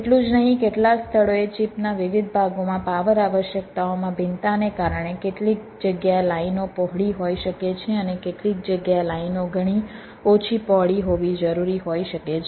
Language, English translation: Gujarati, not only that, because of variations in power requirements in different parts of the chip, in some places the lines may be wider